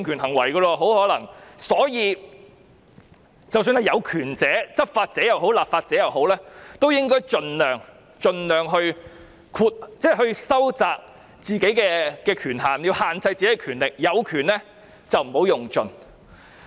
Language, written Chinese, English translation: Cantonese, 因此，有權者——不論是執法者或立法者——應該盡量收窄自己的權限，要限制自己的權力，有權不要用盡。, Therefore those in power be it law enforcers or legislators should narrow down the scope of their power as far as possible exercise restraint and refrain from exhausting such power